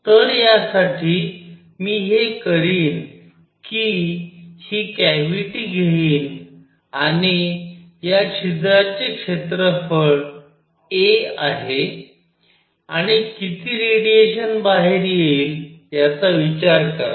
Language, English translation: Marathi, So, for this what I will do is I will take this cavity and this hole has an area a, and consider how much radiation comes out